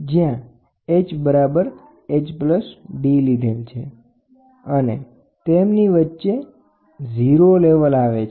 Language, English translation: Gujarati, And in between this comes a 0 level